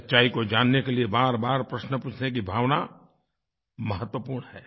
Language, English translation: Hindi, The relentless quest to ask questions for knowing the truth is very important